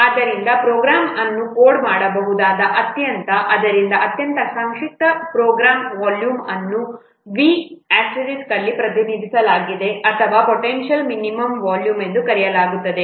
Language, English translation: Kannada, So, the volume of the most succinct program in which a program can be coded is repented as V star or which is known as potential minimum volume